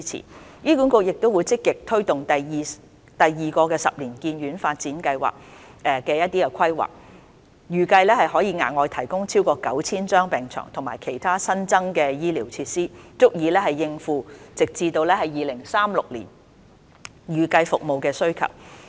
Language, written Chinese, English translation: Cantonese, 醫院管理局亦會積極推動第二個十年醫院發展計劃的規劃，預計可額外提供超過 9,000 張病床及其他新增的醫療設施，足以應付直至2036年的預計服務需求。, The Hospital Authority HA will also actively take forward the planning of the second 10 - year Hospital Development Plan . It is expected that the provision of over 9 000 additional hospital beds and other new hospital facilities will adequately meet the projected service demand up to 2036